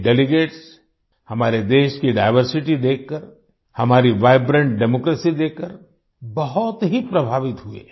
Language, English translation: Hindi, These delegates were very impressed, seeing the diversity of our country and our vibrant democracy